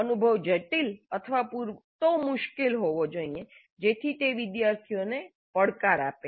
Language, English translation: Gujarati, The experience must be complex or difficult enough so that it challenges the students